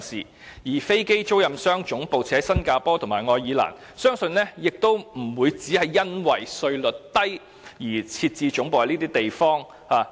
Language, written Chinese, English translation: Cantonese, 至於飛機租賃商把總部設於新加坡和愛爾蘭，相信也不是純粹由於稅率低，便選擇在該處設置總部。, As to why aircraft lessors set up their headquarters in Singapore or Ireland I believe a low tax regime is not the only attraction